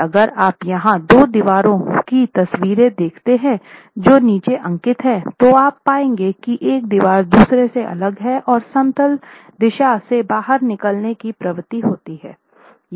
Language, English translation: Hindi, And if you see the two pictures here at the bottom, you see that there is one wall separating off from the other and having a tendency to overturn in the out of plane direction